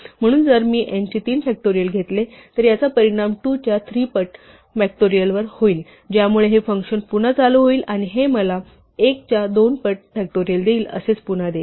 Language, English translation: Marathi, So if I take say factorial of 3, this will result in 3 times factorial of 2 so that will invoke this function again and this will give me 2 times factorial of 1 and so on